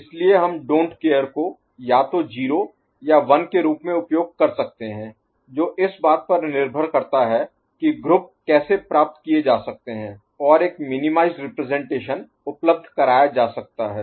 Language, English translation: Hindi, So, we shall use that don’t care either as 0 or as 1 depending on how the groupings can be obtained and a minimized representation can be made available ok